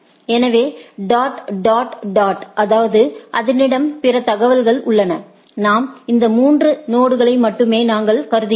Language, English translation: Tamil, So, dot dot dot that means, it has other information we have only, we are only considering these three nodes